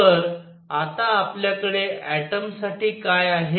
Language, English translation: Marathi, So, what do we have for an atom now